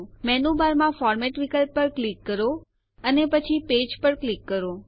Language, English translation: Gujarati, Click on the Format option in the menu bar and then click on Page